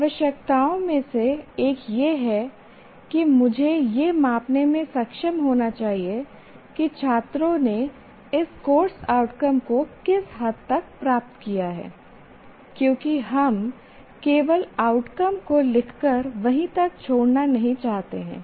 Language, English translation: Hindi, Now because one of the requirements is I should be able to measure to what extent the students have attained these course outcomes because we don't want to merely write outcomes and leave them there